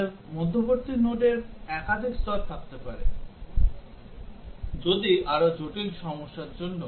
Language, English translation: Bengali, We might have multiple levels of intermediate nodes, if for more complex problems